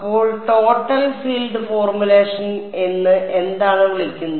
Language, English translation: Malayalam, So, what is called the Total field formulation